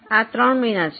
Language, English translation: Gujarati, These are the three months